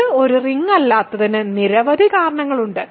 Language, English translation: Malayalam, There are several reasons why it is not a ring